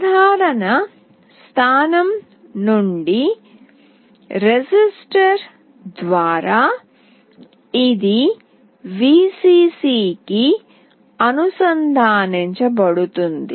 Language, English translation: Telugu, From the common point through a resistor, this will be connected to Vcc